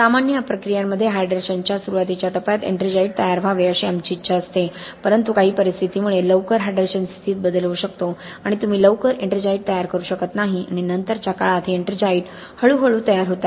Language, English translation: Marathi, In normal processes we want the ettringite to form in the early stages of hydration, but some conditions may lead to a change in the early hydration situation and you may not form ettringite early enough and these ettringites slowly forms in the later ages okay